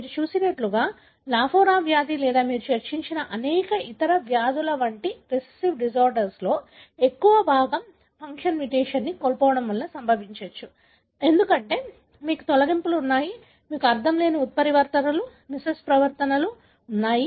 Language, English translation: Telugu, That is a majority of the recessive disorder like what you have seen, Lafora disease or many other disease that you have discussed are caused by loss of function mutation, because you have deletions, you have nonsense mutations, missense mutations